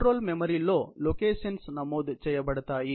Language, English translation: Telugu, The locations are recorded in the control memory